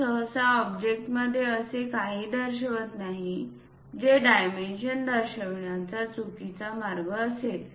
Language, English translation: Marathi, We usually do not show anything inside of the object that is a wrong way of showing the dimensions